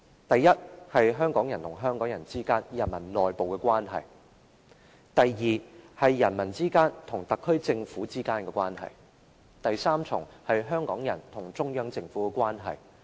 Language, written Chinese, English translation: Cantonese, 第一，是香港人與香港人之間，人民內部的關係；第二，是人民與特區政府之間的關係；第三，是香港人與中央政府之間的關係。, The first part is the relationship among the people of Hong Kong an internal relationship among the people . The second part is the relationship between the people and the Special Administrative Region SAR Government . The third part is the relationship between the people of Hong Kong and the Central Government